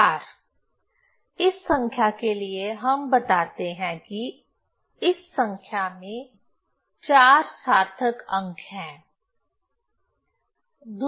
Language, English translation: Hindi, So, this number has 4 significant figures